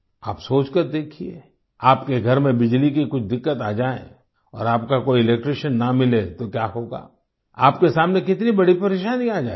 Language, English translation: Hindi, Think about it, if there is some problem with electricity in your house and you cannot find an electrician, how will it be